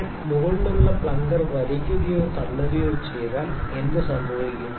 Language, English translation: Malayalam, If I pull or push the plunger above and leave it, what happens